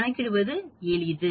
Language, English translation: Tamil, It is simple to calculate